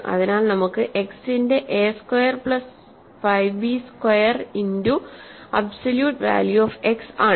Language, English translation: Malayalam, So, we have a square plus 5 b square times absolute value of x